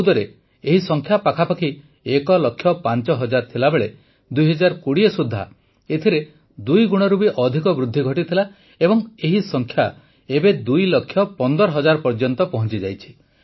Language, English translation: Odia, In 2014, while their number was close to 1 lakh 5 thousand, by 2020 it has increased by more than double and this number has now reached up to 2 lakh 15 thousand